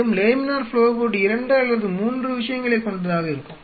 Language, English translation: Tamil, So, laminar flow hood will be equipped with 2 3 things or So